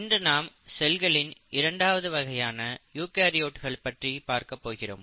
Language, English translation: Tamil, Welcome back and today we are going to talk about the second category of cells which are the eukaryotes